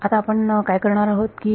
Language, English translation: Marathi, What do we do now is